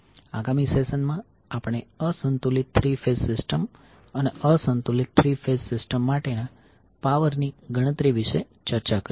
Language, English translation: Gujarati, In the next session, we will discuss unbalanced three phase system and the calculation of power for the unbalanced three phase system